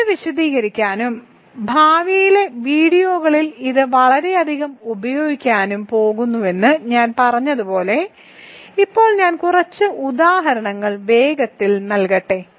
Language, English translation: Malayalam, So, as I said I am going to elaborate on this and use this a lot in the future videos, let me now quickly give a couple of examples